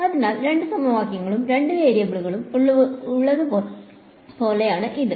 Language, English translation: Malayalam, So, it is like there are two equations and two variables right